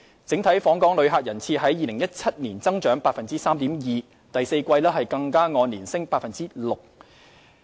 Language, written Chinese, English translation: Cantonese, 整體訪港旅客人次於2017年增長 3.2%， 第四季更按年升 6%。, The overall number of visitor arrivals in Hong Kong grew by 3.2 % in 2017 and even saw an increase of 6 % year on year in the fourth quarter